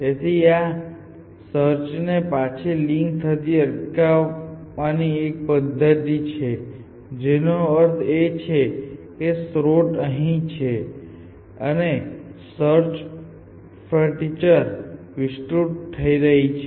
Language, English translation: Gujarati, So, this is 1 mechanism for stopping the search from leaking back which means that, so let us say this source is somewhere here and search frontier expanding